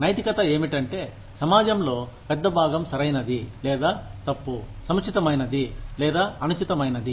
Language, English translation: Telugu, Morality is, what a larger chunk of the society feels is, right or wrong, appropriate or inappropriate